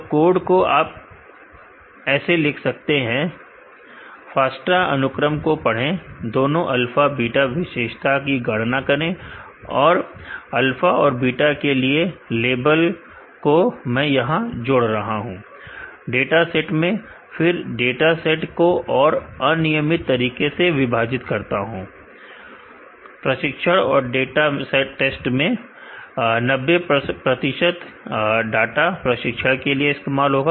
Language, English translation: Hindi, So, the code is written as follows read the FASTA sequence both alpha beta calculate the features and, I am adding the label as alpha and beta to the dataset, then I am randomly splitting the dataset into training and test, 90 percent of the data will be used as training